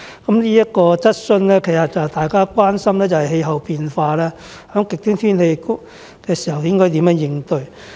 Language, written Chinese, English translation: Cantonese, 至於這項質詢，大家關心的是氣候變化，以及在出現極端天氣時應如何應對。, As for the present question Members are concerned about climate change and the ways to cope with extreme weather conditions